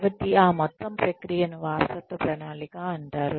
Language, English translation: Telugu, So, that whole process is called succession planning